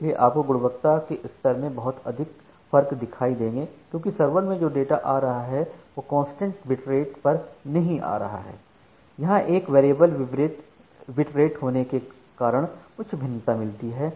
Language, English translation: Hindi, So, you will see a lots of jerkiness in the quality level because the data which is coming from the server it is not coming at a constant bitrate it is coming in a variable bitrate and thats too at a high variation